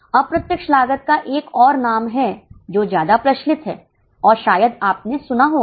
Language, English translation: Hindi, There is another name for indirect cost which is more popular and you might have heard it that is overheads